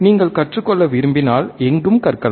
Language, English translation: Tamil, Learning can be done anywhere if you want to learn